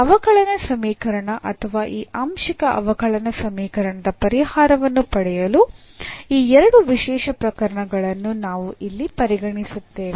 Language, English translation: Kannada, So, these two special cases we will consider here to get the solution of this differential equation or this partial differential equation here